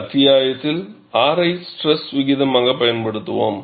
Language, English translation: Tamil, In this chapter, we would use R as stress ratio